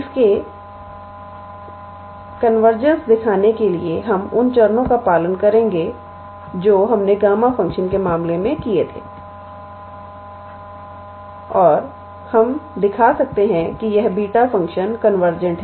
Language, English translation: Hindi, Now, in order to show it is convergence we will follow the steps what we did in case of gamma function and we can be able to show that this beta function is convergent